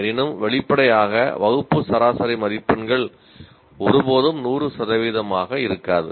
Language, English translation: Tamil, Obviously class average marks will never be 100 percent